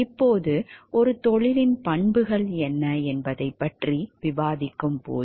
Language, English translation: Tamil, Now, when we discuss about what are the attributes of a profession